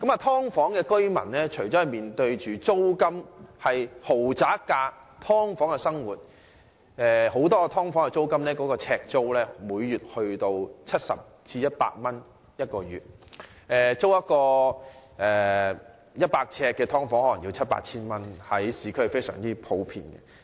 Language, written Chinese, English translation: Cantonese, "劏房"住戶付出豪宅般的租金，過的是"劏房"的生活，很多"劏房"每月呎租高達70至100元，租住市區一個100呎的"劏房"可能須付七八千元，這是非常普遍的。, Paying rents comparable to that of luxury homes though tenants of subdivided units can only live in the confines of their subdivided units and in many cases the rent charged is as high as 70 to 100 per square foot . It is very common that one has to pay a monthly rent of 7,000 to 8,000 for a subdivided unit of 100 sq ft in the urban area